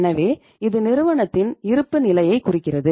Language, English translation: Tamil, So this makes the balance sheet of the firm